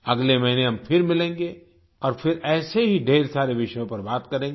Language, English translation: Hindi, We'll meet again next month, and we'll once again discuss many such topics